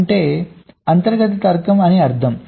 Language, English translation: Telugu, that means the internal logic